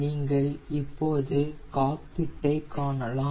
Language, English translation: Tamil, so you can see the cockpit here